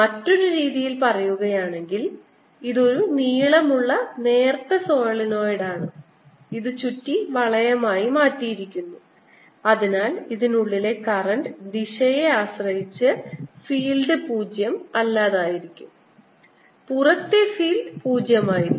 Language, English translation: Malayalam, this is a long, thin solenoid which has been turned into around ring so that the field inside this is non zero, depending on the direction of the current outside field is zero